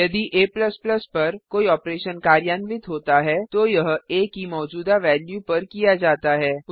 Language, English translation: Hindi, If an operation is performed on a++, it is performed on the current value of a